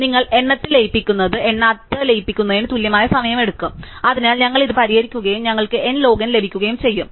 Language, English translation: Malayalam, So, you merge with count it takes a same amount of time as merging without counted, so we solve this and we get n log n